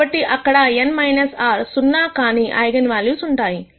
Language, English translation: Telugu, So, there will be n minus r non zero eigenvalues